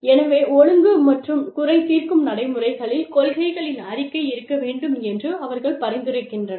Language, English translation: Tamil, So, they suggest, that the disciplinary and grievance procedures should contain, a statement of principles